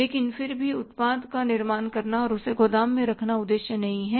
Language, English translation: Hindi, But again manufacturing the product and keeping it in the warehouse is not the purpose